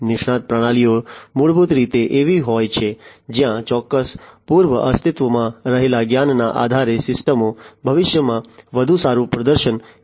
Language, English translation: Gujarati, Expert systems are basically the ones where based on certain pre existing knowledge the systems are going to perform better in the future